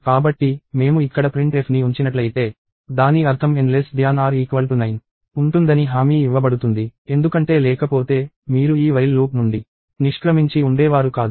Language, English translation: Telugu, So, if I put a printf here, then what it means is N is guaranteed to be less than or equal to 9; because otherwise, you would not have exited this while loop